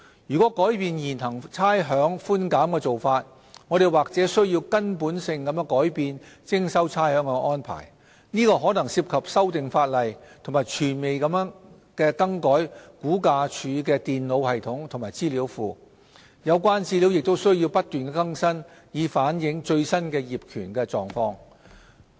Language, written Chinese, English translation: Cantonese, 若改變現行差餉寬減的做法，我們或須根本性地改變徵收差餉的安排，這可能涉及修訂法例和全面地更改估價署的電腦系統及資料庫，有關資料亦須不斷更新以反映最新的業權狀況。, Any changes to the current rates concession approach may imply the need for making a fundamental change to the rates collection arrangement . This may involve amendments to be made to the law and complete replacement of RVDs computer systems and databases with new ones . Moreover all the relevant information will need to be constantly updated to reflect the latest ownership status